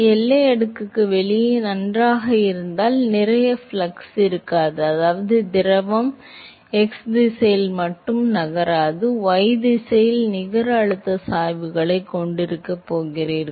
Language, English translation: Tamil, Well outside the boundary layer, you will not have mass flux then, which means that the fluid is not, is no more moving in the x direction only, you going to have a net pressure gradients in the y direction